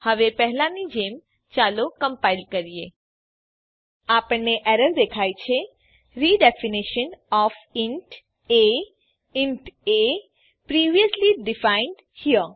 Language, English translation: Gujarati, Now compile as before , We see errors , Redefinition of inta , int a previously defined here